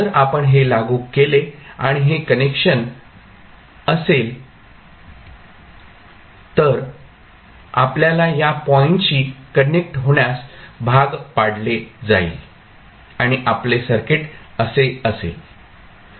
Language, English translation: Marathi, So, if you apply this and this is the connection then it will be forced to connect to this particular point and your circuit would be like this